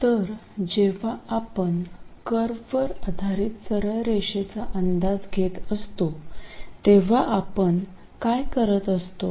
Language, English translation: Marathi, So, what are we really doing when we approximate that curve by a straight line